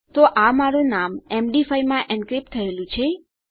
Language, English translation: Gujarati, So that is my name encrypted in Md5